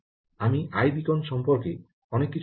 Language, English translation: Bengali, i must say many things about i beacon